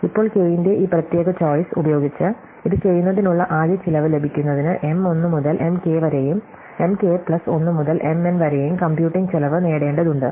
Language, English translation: Malayalam, Now, to get the total cost of doing it with this particular choice of k, we have to get the cost of computing M 1 to M k and M k plus 1 to M n